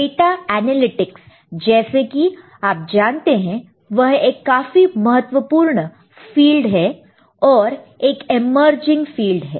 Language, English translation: Hindi, And data analysis, data analytics is, you know, kind of thing that we all are aware of, which is a very important field and emerging field